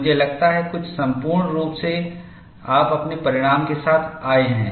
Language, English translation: Hindi, I think quite a few, you, you have come with your result